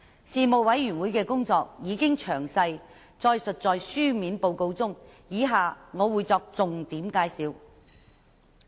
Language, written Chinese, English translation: Cantonese, 事務委員會的工作已經詳細載述在書面報告中，以下我只會作出重點介紹。, The details of the work of the Panel is set out in the written report and I will highlight the important work items below